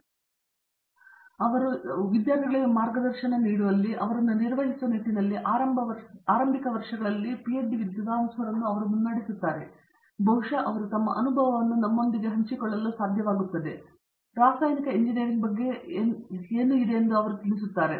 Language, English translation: Kannada, Between them they have a lot of experience in guiding students, in handling them, leading them through the initial years here and so perhaps they will be able to share their experience with us and tell us a lot about what chemical engineering is about